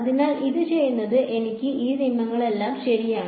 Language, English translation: Malayalam, So, doing that gives me all of these rules right